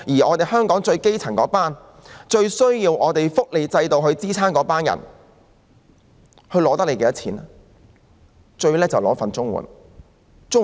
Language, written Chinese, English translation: Cantonese, 至於香港的基層市民及亟需福利制度支援的人，他們花費政府多少錢呢？, How much government expenditure do the grass roots or people in dire need for assistance under the welfare system incur in Hong Kong?